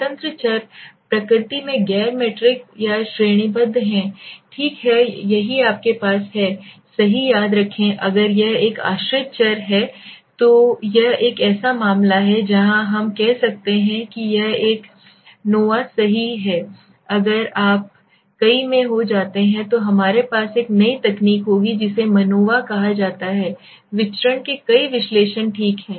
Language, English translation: Hindi, The independent variables are non metric or categorical in nature okay this is what you have to remember right if this is one dependent variable then it is a case where we are saying it is an a nova right if you get into multiple when we will have a new technique which is called manova multiple analysis of variance okay